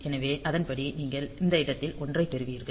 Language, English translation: Tamil, So, accordingly you will get a one at these point